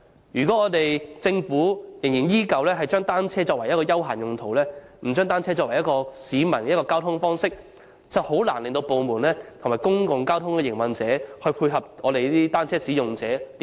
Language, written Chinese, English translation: Cantonese, 如果政府依然把單車視作休閒工具，而不是市民的一種交通方式，實在難以令各部門及公共交通營運者在乘坐交通工具上配合單車使用者。, If the Government insists on positioning bicycles as a recreational tool but not a mode of public transport government departments and public transport operators can hardly be prompted to provide matching measures for cyclists in the use of public transport